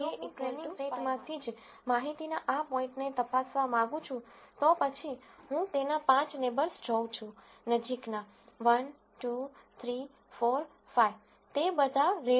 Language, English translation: Gujarati, Now if I want to let us say a check this data point from the training set itself, then I look at its five neighbors, closest 1 2 3 4 5, all of them are red